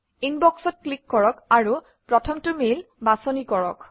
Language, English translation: Assamese, Click on Inbox, select the first mail